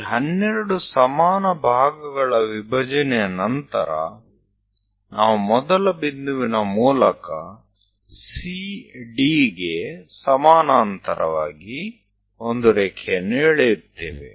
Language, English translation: Kannada, After division of these 12 equal parts, what we will do is, through 1, through the first point draw a line parallel to CD